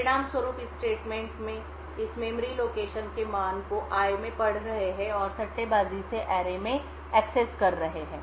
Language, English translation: Hindi, As a result we would have this statement reading the value of this memory location into i and speculatively accessing array[i * 256]